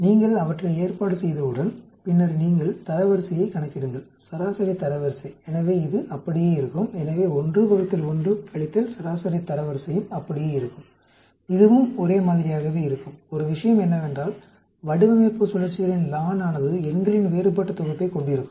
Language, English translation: Tamil, Once you arrange them, then you calculate the rank, median ranks so this will remain the same, so 1 divided by 1 minus median rank also will remain the same, this also will remain the same only thing is the ln of design cycles will have different sets of numbers